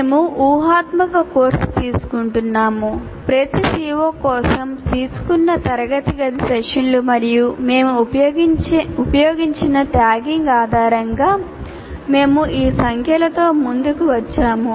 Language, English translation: Telugu, We are taking a hypothetical course and say the based on classroom sessions taken for each COO and the tagging that we have used, we came up with these numbers